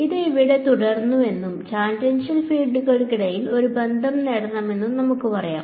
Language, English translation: Malayalam, So, let us say that this is continues over here and I want to get a relation between the tangential fields